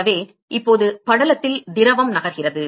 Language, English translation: Tamil, So, the fluid is now moving in the film